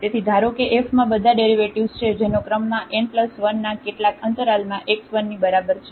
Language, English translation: Gujarati, So, assume that f has all derivatives up to order n plus 1 in some interval containing the point x is equal to x 0